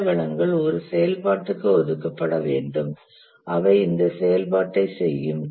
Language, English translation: Tamil, Some resources must be assigned to an activity who will carry out this activity